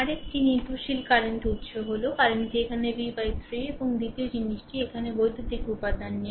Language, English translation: Bengali, Another dependent current source is there the current is here v v by 3 right and second thing is at there is no electrical element here and nothing